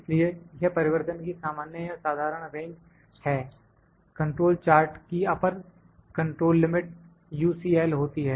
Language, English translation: Hindi, So, whether it is a common or normal range of variation the control charts has upper control limit it has U